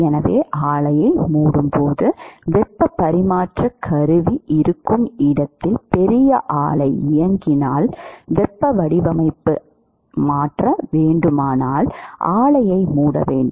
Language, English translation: Tamil, So, when you shut down the plant supposing if there is a big plant which is running where there is the heat transfer equipment, if you want to change the design you would have to shut down the plant